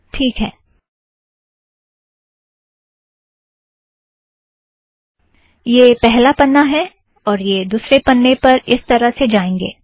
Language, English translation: Hindi, Alright, this is the first page, second page we have to go from here